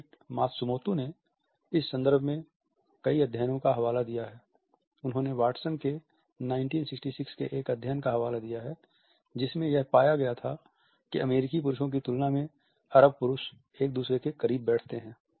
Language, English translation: Hindi, David Matsumoto has quoted several studies in this context, he has quoted a 1966 study over Watson and graves in which it was found that Arab males tend to sit closer to each other in comparison to American males